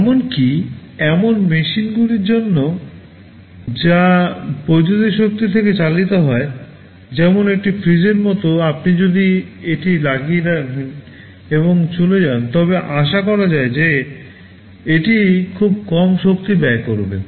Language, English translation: Bengali, Well even for machines which operate from electric power, like a refrigerator if you put it on and go away, it is expected that it will consume very low power